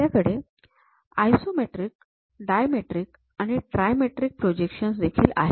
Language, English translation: Marathi, In that we have 3 varieties isometric, dimetric and trimetric projections